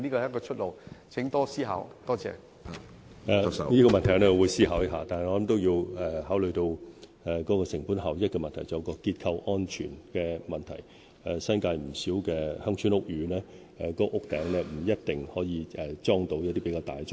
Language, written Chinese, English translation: Cantonese, 我會思考這個問題，但我認為同時也要考慮成本效益及結構安全的問題，因為新界不少鄉村屋宇的天台未必能夠安裝較大型的裝置。, While I will consider this issue I think consideration should also be given to cost effectiveness and structural safety because in the New Territories not all rooftops of village houses are suitable for installing large - scale facilities